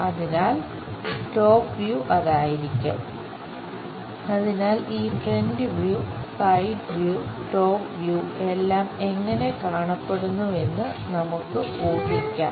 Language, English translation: Malayalam, So, let us guess how these front view side view top view looks like